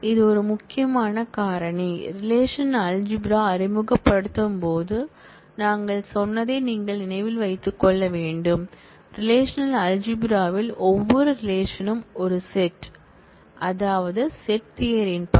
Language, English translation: Tamil, This is a very important factor, that you should keep in mind that we said, while introducing relational algebra, that in the relational algebra every relation is a set and which means that according to set theory